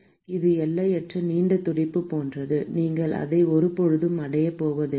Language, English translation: Tamil, But that is that is like an infinitely long fin you never going to achieve it